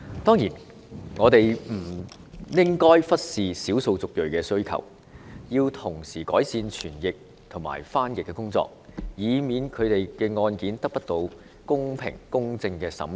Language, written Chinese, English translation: Cantonese, 當然，我們亦不應忽視少數族裔的需求，要同時改善傳譯和翻譯服務，以免他們的案件得不到公平、公正的審理。, Certainly we should not neglect the needs of ethnic minorities . We should improve the interpretation and translation services to avoid their cases being deprived of fair and impartial treatment